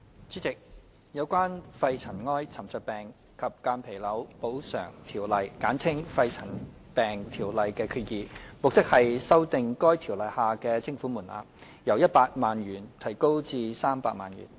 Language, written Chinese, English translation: Cantonese, 主席，有關《肺塵埃沉着病及間皮瘤條例》的決議，目的是修訂《條例》下的徵款門檻，由100萬元提高至300萬元。, President the purpose of the proposed resolution under the Pneumoconiosis and Mesothelioma Compensation Ordinance PMCO is to revise the levy threshold under PMCO from 1 million to 3 million